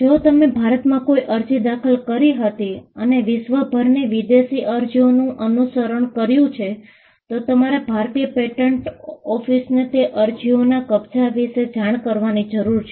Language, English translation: Gujarati, If you had filed an application in India and followed it up with applications around the world, foreign applications, then you need to keep the Indian patent office informed, as to, the possession of those applications